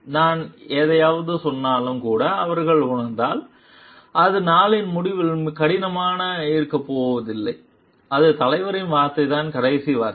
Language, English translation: Tamil, If they feel like even if I tell something it is not going to be hard at the end of the day it is the leaders word which is the last word